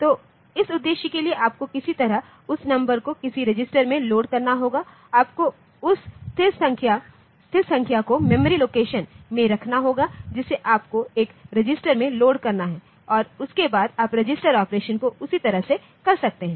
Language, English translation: Hindi, So, for that purpose you have to somehow load that number into some register you can you can you have to keep that constant in a memory location from the memory location you have to load into a register and after that you do the register operation as it is